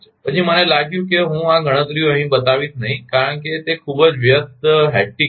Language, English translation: Gujarati, Then I found I will not show this calculations here, because it will be very hectic